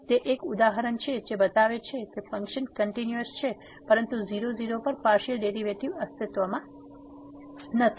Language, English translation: Gujarati, So, that is a one example which shows that the function is continuous, but the partial derivative both the partial derivatives do not exist at